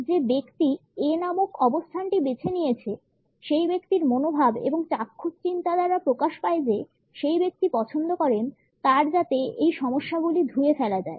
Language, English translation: Bengali, The person who has opted for the position named as A, suggest an attitude or visual thinking, the person would prefer that these problems can be washed away